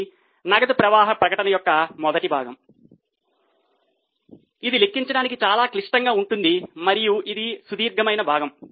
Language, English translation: Telugu, This is the first part of cash flow statement which is comparatively complicated to calculate and it is a lengthier part